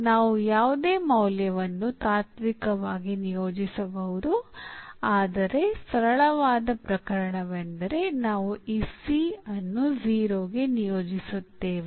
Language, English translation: Kannada, So, this is not important here we can assign any value in principle, but the simplest case would be that we assign this C to 0